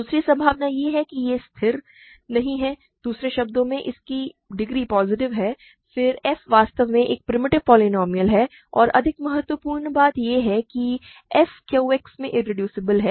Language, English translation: Hindi, Second possibility is it is not constant in other words its degree is positive, then f is actually a primitive polynomial and more importantly f is irreducible in Q X